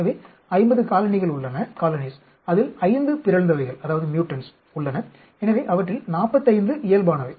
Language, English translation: Tamil, So, imagine there are 50 colonies, which has 5 mutants, so 45 of them are normal